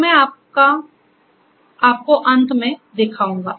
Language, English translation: Hindi, So, I will show you that at the end